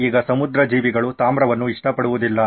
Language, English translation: Kannada, Now marine life does not like copper